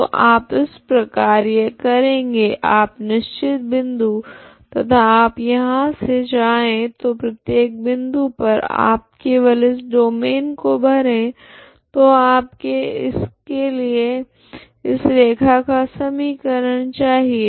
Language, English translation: Hindi, So this is how you are doing you fix this point and you are going from here so for every fix point you just fill this domain, okay so for that you need equation of this line